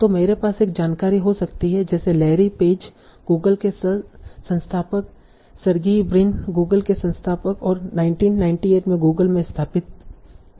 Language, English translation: Hindi, So like I can have information like founder of Larry Page, Google, founder of Sergei Brin Google and founded in Google in 1998